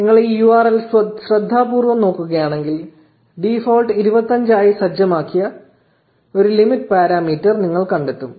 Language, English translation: Malayalam, And if you look at this URL carefully, you will find a limit parameter which is set to 25 by default